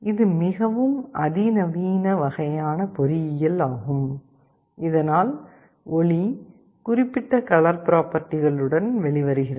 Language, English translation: Tamil, It is a very sophisticated kind of engineering that is done so that light comes out with particular color properties